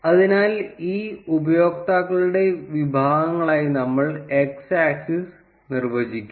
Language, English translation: Malayalam, So, we will define the x axis to be the categories of these users